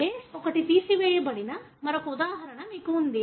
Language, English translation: Telugu, You have another example wherein one of the base is removed